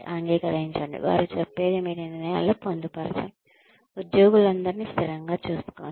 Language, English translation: Telugu, Accept, what they say, incorporate, what they say, in your decisions, treat all employees consistently